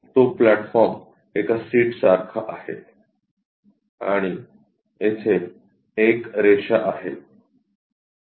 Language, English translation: Marathi, That is basically this platform more like a seat and this line here